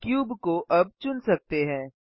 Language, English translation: Hindi, The cube can now be selected